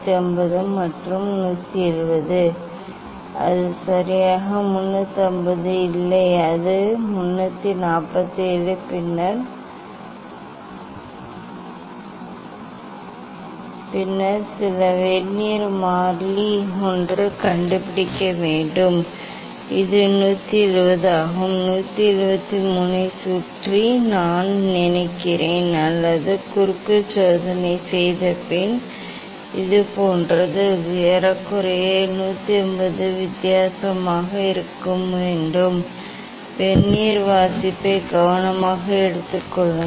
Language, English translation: Tamil, 350 and 170, it is not exactly 350, it is the 347 and then some Vernier constant one have to find out and this is 170 I think around 173 or like this after taking reading just cross check, that it should be approximately 180 difference ok, take the Vernier reading carefully